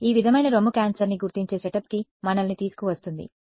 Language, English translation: Telugu, This sort of brings us to the setup of for breast cancer detection ok